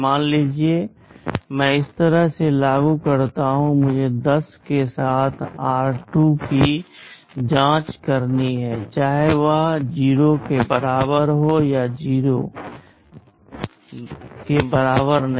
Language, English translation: Hindi, Suppose I implement like this I have to check r2 with 10, whether it is equal to 0 or not equal to 0